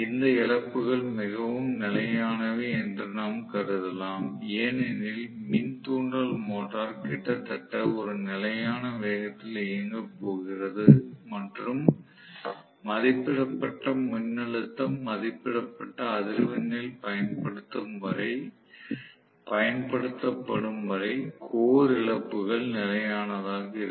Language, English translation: Tamil, We can assume that these losses are fairly constant because the induction motor is going to run almost at a constant speed and core losses will be constant as long as applied at rated voltage and rated frequency, okay